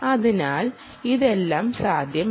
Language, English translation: Malayalam, so all of this is possible